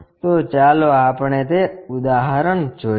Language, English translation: Gujarati, So, let us look at that example